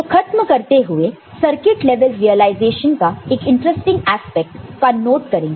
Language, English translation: Hindi, So, to end, we just take note of one interesting aspect of the circuit level realization